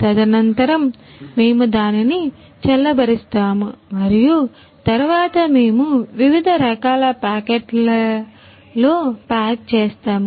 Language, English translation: Telugu, Subsequently, we cool it and then we pack into the different types of packets